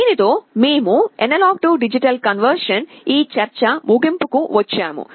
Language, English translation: Telugu, With this we come to the end of this discussion on A/D conversion